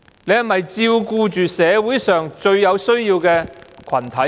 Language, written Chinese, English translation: Cantonese, 是否照顧着社會上最有需要的群體？, Have actions been taken to take care of the groups most in need in society?